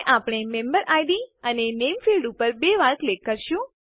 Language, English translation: Gujarati, And we will double click on the MemberId and the Name fields